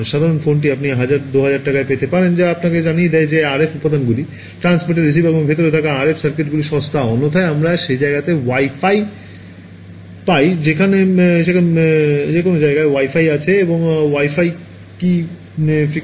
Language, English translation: Bengali, The most ordinary phone you can get for 1000 2000 rupees that tells you that the RF components: the transmitter, receiver and the RF circuitry inside is cheap otherwise how could you get at that price Wi Fi every place we go to has a Wi Fi right and Wi Fi works at what frequency